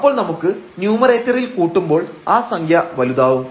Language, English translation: Malayalam, So, when we are adding in the numerator the quantity will be bigger